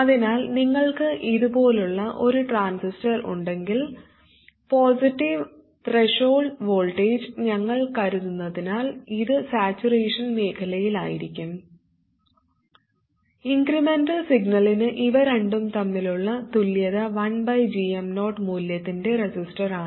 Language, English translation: Malayalam, So if you have a transistor like this and since we consider positive threshold voltages this will be in saturation region, the equivalent between these two for the incremental signal is a resistor of value 1 over GM 0